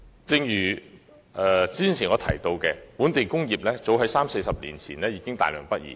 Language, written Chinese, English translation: Cantonese, 正如我剛才提到，本地工業早於三四十年前已大量北移。, As I mentioned just now the local industries have relocated to the Mainland in large numbers since some 30 to 40 years ago